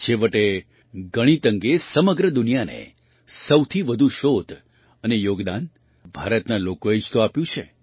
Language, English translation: Gujarati, After all, the people of India have given the most research and contribution to the whole world regarding mathematics